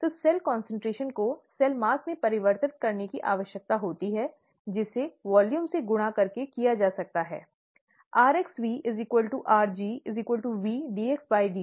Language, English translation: Hindi, So cell concentration needs to be converted to cell mass, which can be done by multiplying it by the volume, rx into V equals rg, equals V dxdt